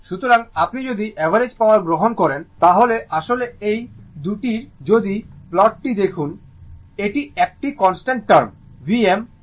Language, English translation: Bengali, So, if you take average power, then this one you are this is actually this 2 if you look at the plot, this is a constant term V m I m by 2 right